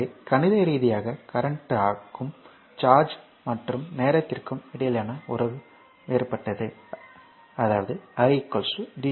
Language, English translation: Tamil, So, mathematically the relationship between current and charge and time is different in that i is equal to dq by dt this is a equation 1